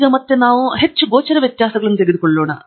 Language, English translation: Kannada, So, let us take again very concrete differences